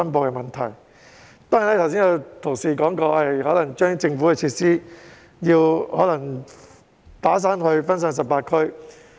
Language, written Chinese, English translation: Cantonese, 剛才有同事提議將政府的設施"打散"，分散至18區。, Just now a colleague proposed to redistribute the government facilities to 18 districts